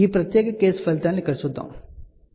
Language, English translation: Telugu, So, let us see the results for this particular case over here, ok